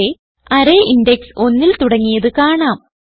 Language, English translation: Malayalam, We can see here the array index starts from one